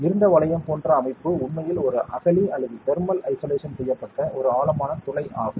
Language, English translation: Tamil, The dark ring like structure is actually a trench or a deep hole that has been made for thermal isolation